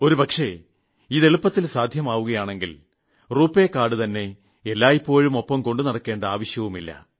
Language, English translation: Malayalam, If this happens, perhaps you may not even need to carry a RuPay card with you